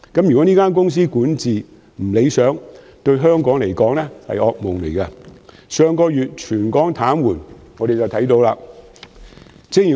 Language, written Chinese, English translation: Cantonese, 如果港鐵公司管治不理想，對香港而言會是噩夢，這從上月全港癱瘓可見一斑。, Unsatisfactory governance in MTRCL will bring a nightmare to Hong Kong as aptly reflected by the state of territory - wide paralysis last month